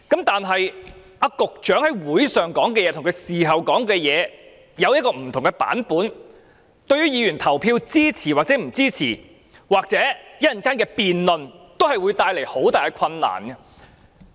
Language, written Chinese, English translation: Cantonese, 但是，局長在大會上說的話，與他事後說的，有不同的版本，對於議員是否投票支持或稍後的辯論，都會帶來很大的困難。, However what the Secretary said at the Council meeting is a different version from what he said afterwards thus making it very difficult for Members to decide on a vote or engage in a debate later